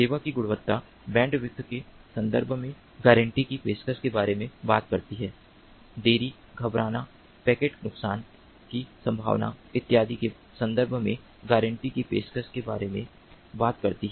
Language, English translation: Hindi, quality of service guarantees talks about offering guarantees in terms of the bandwidth, delay, jitter, packet loss probability and so on and so forth